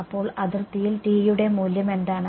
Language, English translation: Malayalam, So, on the boundary what is the value of T